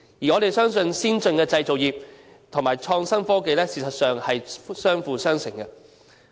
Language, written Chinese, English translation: Cantonese, 我們相信先進的製造業及創新科技，事實上是相輔相成的。, We believe advanced manufacturing industries and innovative technologies are complementary to each other